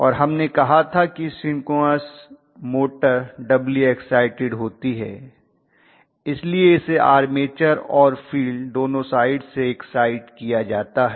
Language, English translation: Hindi, So we send that synchronous motor we are going to have doubly excited, so it is going to be excited from both the armature site as well as field side